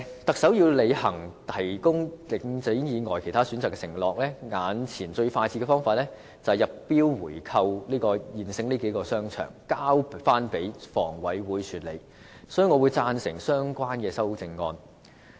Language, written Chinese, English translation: Cantonese, 特首要履行"提供領展以外其他選擇"的承諾，眼前最快捷的方法是入標購回這數個現有商場，交回香港房屋委員會管理，所以我會贊成相關的修正案。, The fastest way before us is to submit tenders for the buying back of the several existing shopping malls and hand them back to the Hong Kong Housing Authority HA for management . Hence I will vote in favour of the relevant amendments . The people of Hong Kong have indeed learnt a bitter lesson from Link REIT